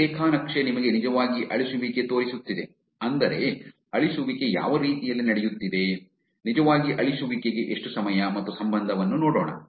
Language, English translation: Kannada, This graph is actually showing you, I mean let us look at the way in which the deletion is happening, how much time and relationship for actually deletion